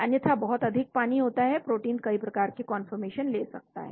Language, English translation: Hindi, Otherwise too much water is there protein can take too much of conformation